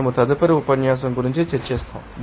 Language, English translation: Telugu, We will be discussing the next lecture